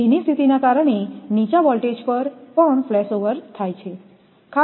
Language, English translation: Gujarati, Wet conditions cause flashovers at lower voltages also